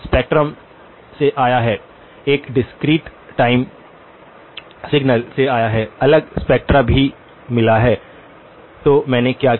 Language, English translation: Hindi, The spectrum come from, it came from the discrete time signal, also got different spectra, so what did I do